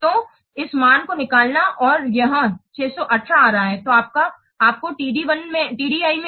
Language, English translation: Hindi, So, find out this value, it is coming 618